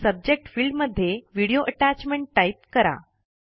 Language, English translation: Marathi, In the Subject field, type Video Attachment